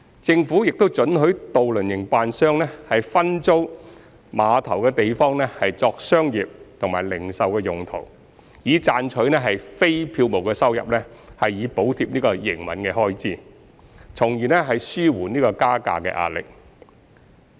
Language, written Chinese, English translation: Cantonese, 政府亦准許渡輪營辦商分租碼頭的地方作商業和零售用途，以賺取非票務收入以補貼營運開支，從而紓緩加價壓力。, Moreover ferry operators are allowed to sublet premises at piers for commercial and retail activities to generate nonfarebox revenues for cross - subsidizing the operating expenses thereby alleviating the pressure for fare increases